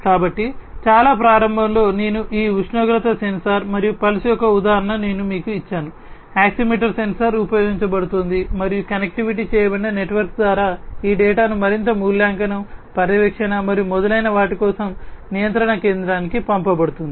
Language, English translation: Telugu, So, at the very outset I had given you the example of this temperature sensor and pulse oximeter sensor being used and through a connected network this data is sent to the control center for further evaluation, monitoring, and so on